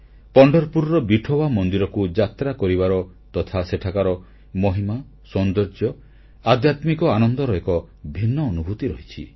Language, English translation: Odia, Visiting Vithoba temple in Pandharpur and its grandeur, beauty and spiritual bliss is a unique experience in itself